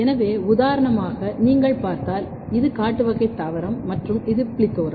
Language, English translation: Tamil, So, for example, if you look this is wild type plant and this is plethora